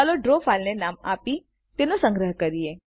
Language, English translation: Gujarati, Lets name our Draw file and save it